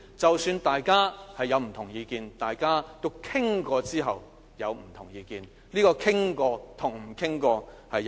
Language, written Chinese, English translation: Cantonese, 即使大家有不同意見，大家經討論後有不同意見，這經討論和不經討論是有很大分別的。, Although we have different views and even if the divergences continue to exist after discussion there is still a mark different between with and without discussion